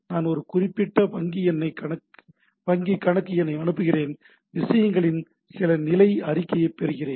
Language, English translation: Tamil, I send a particular bank account number, get some status report of the things